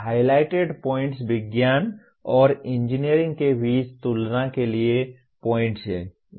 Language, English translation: Hindi, So the highlighted points are the points for comparison between science and engineering